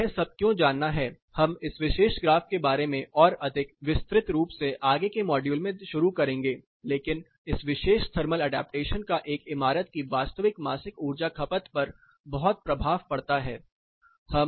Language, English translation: Hindi, Why do you have to know all this we will start more about this particular graph elaborately in further modules, but this particular thermal adaptation has a significant impact on the actual monthly energy consumption of a building